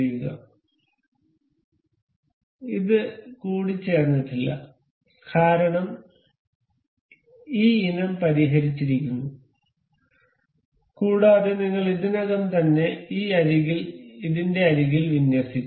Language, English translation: Malayalam, So, it is not mated because this item is fixed and we have already aligned this edge with the edge of this